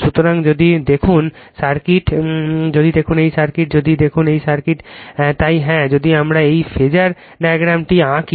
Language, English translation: Bengali, So, if you look into the circuit, if you look into this circuit, right if you look into this circuit so yeah if I if wewhen you draw this youryour phasordiagram